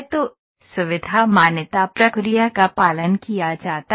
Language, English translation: Hindi, So, the feature recognition procedure is followed